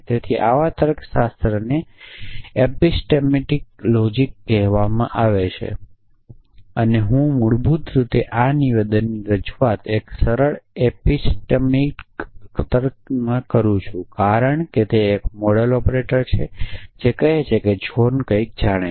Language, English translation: Gujarati, So, such logics are called epistemic logics and I would basically represent this statement in a simple epistemic logic as saying that k j were k j is the modal operator which says the John knows something